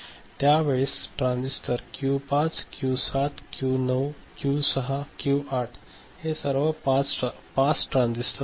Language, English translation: Marathi, So, these transistors Q5, Q7, Q9, Q6, Q8 ok, all these are pass transistors ok